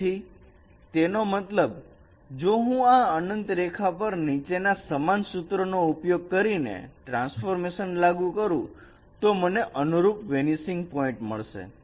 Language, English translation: Gujarati, So which means that if I perform transformation of line at infinity by following the same rule of line transformation, then I will get the corresponding vanishing line